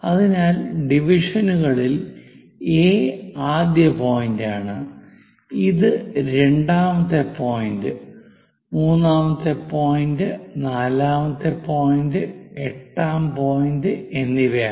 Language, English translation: Malayalam, So, the division is this is A first, second point, third point, fourth point, and eighth point